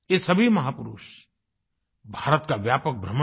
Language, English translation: Hindi, All these great men travelled widely in India